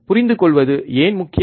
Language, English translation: Tamil, Why important to understand